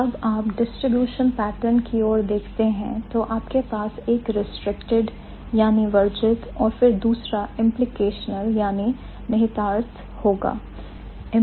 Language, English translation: Hindi, So, when you look at the distributional pattern, you would have unrestricted and then you have implicational